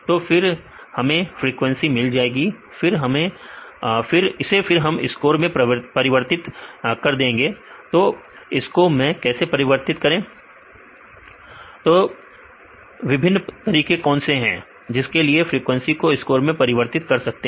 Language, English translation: Hindi, Then we get the frequency then we converted this into score how to convert into score what the various a ways to convert the frequency to score